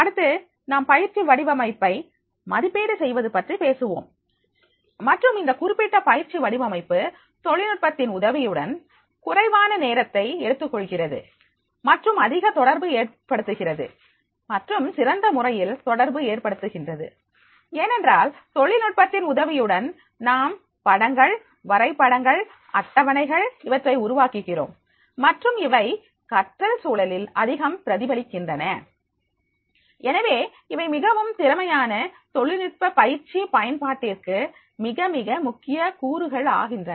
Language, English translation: Tamil, Then we talk about the evaluation that is a training design and this particular training design on the base with the help of the technology it is taking less time and they have and more communicating and a better way communicating because with the help of technology we can create the pictures graphs tables and that they are getting the more reflections on the learning environment so therefore this becomes very very critical components for the effective use of the training technology